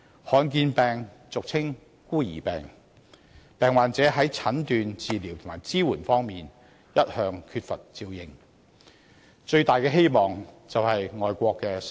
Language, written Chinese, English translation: Cantonese, 罕見疾病俗稱"孤兒病"，患者在診斷、治療及支援方面一向缺乏照應，最大的希望就是外國的新藥。, Rare diseases are commonly known as orphan diseases the patients of which have used to receiving inadequate support in terms of diagnoses treatment and assistance . Their greatest hope is new drugs from overseas